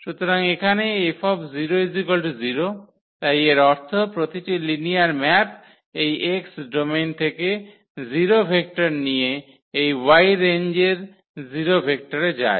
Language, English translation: Bengali, So, here F 0 so; that means, that every linear map takes the 0 vector from this domain X to the 0 vector in this range Y